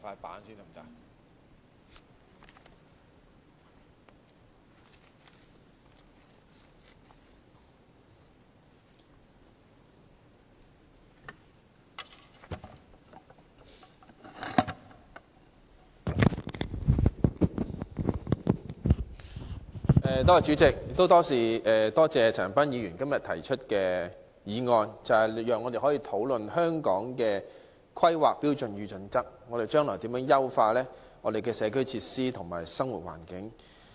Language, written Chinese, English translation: Cantonese, 代理主席，多謝陳恒鑌議員提出這項議案，讓我們討論《香港規劃標準與準則》如何優化我們的社區設施和生活環境。, Deputy President I would like to thank Mr CHAN Han - pan for moving this motion allowing us to discuss how the Hong Kong Planning Standards and Guidelines HKPSG can optimize our community facilities and living environment